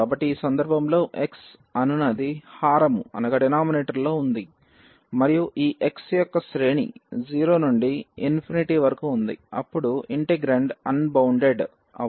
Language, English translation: Telugu, So, in this case one might think that here the x is in the denominator and the range of this x is from 0 to infinity then the integrand may become unbounded